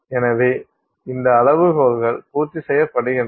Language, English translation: Tamil, So, this criteria is met